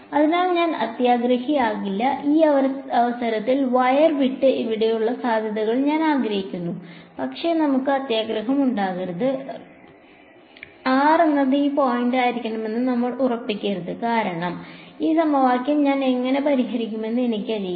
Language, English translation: Malayalam, So, I will not be greedy I actually want the potential at this point over here away from the wire, but let us not be so greedy; let us not fix r to be this point because then, I do not know how will I solve this equation